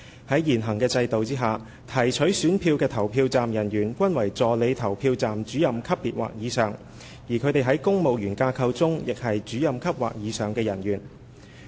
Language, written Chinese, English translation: Cantonese, 在現行的制度下，提取選票的投票站人員均為助理投票站主任級別或以上，而他們在公務員架構中亦是主任級或以上的人員。, Under the existing mechanism the polling staff responsible for collecting ballot papers were at the rank of APRO or above and were also of officer grade or above in the civil service structure